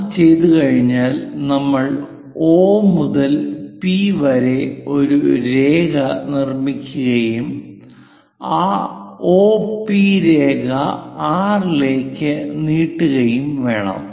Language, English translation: Malayalam, Once it is done, we have to construct a line from O to P and then extend that O P line all the way to R